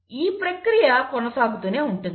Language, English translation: Telugu, And this process keeps on continuing